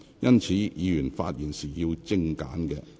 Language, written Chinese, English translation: Cantonese, 因此，議員發言時請精簡。, Hence Members should keep their speeches concise